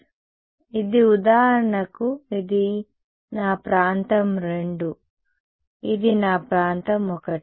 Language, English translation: Telugu, So, this is for example, this is my region II this is my region I